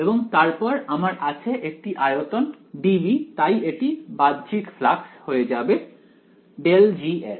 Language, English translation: Bengali, And then I have a over volume d v right so this will become what outward flux of